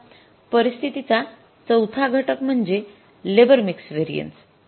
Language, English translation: Marathi, And now the fourth set of the situation is labor mix variance